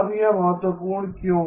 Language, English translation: Hindi, Now why is that important